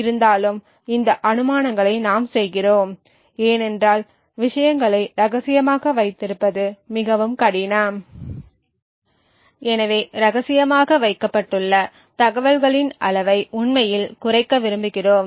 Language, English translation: Tamil, So, we make these assumptions because it is very difficult to keep things a secret, so we want to actually minimize the amount of information that is kept secret